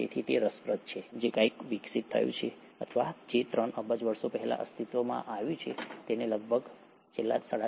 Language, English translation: Gujarati, So it's interesting that something which evolved or which came into existence more than three billion years ago, has sustained it's survival for the last 3